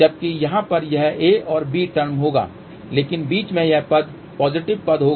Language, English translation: Hindi, Whereas, over here it will be a and b term but in between the term will be positive term